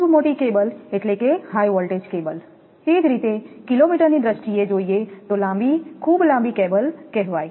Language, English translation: Gujarati, Very large cable means high voltage cables, at the same time, long, very long cables in terms of kilo meters